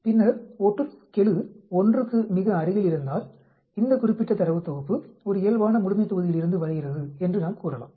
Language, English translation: Tamil, And then if the correlation coefficient is very near 1, then we can say this particular data set comes from a normal population